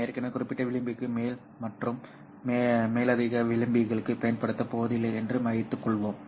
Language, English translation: Tamil, Let us assume in this case that we are not going to use any excess margin over and top of the margin that we have already specified